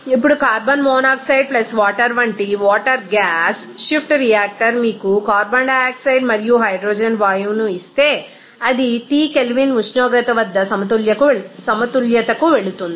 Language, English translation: Telugu, Now, if water gas shift reactor like carbon monoxide plus water will give you that carbon dioxide and hydrogen gas, that will proceed to equilibrium at a temperature T Kelvin